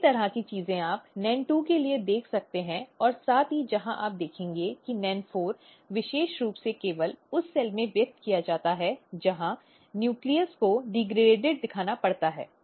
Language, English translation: Hindi, Similar kind of things you can see for NEN2 as well where as if you will see NEN4 this is this is specifically expressed only in the cell where nucleus has to be degraded